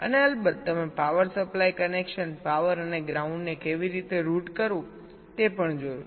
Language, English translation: Gujarati, and of of course, you also looked at how to route the power supply connections, power and ground